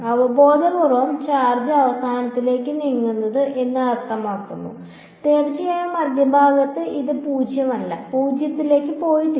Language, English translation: Malayalam, Intuitively it makes sense the charge is tending to bunch of towards the end there is of course, at the centre it is not 0, it is not gone to 0